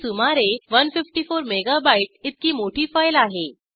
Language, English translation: Marathi, It is a large file, about 154 mega bytes